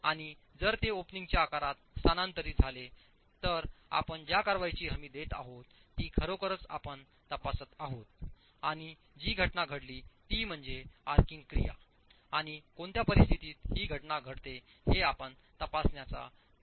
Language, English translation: Marathi, And if it does get transferred to the sides of the opening, what guarantees that action is actually what we are examining and the phenomenon that occurs is the arching action and under what conditions does this occur is what we are trying to examine